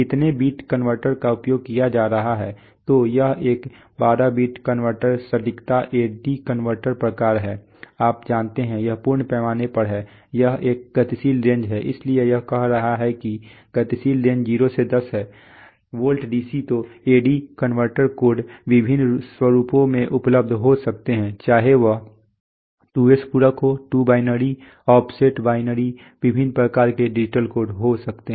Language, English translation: Hindi, How many bit converter is being used, so it is a 12 bit converter accuracy the A/D converter type then, you know, this is this full scale this is a dynamic range so it is saying that the dynamic range is 0 to 10 volt DC then the A/D converter codes can be available in various formats whether it is 2s complement, true binary, offset binary various kinds of digital codes are there